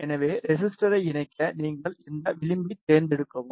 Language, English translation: Tamil, So, just to connect the resistor you just select this edge